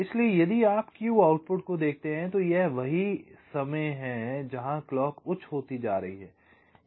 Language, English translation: Hindi, so if you look at the q output, this is the time where clock is becoming high